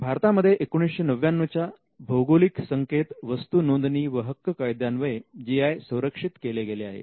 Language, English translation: Marathi, GI in India is protected by geographical indication of goods registration and protection Act of 1999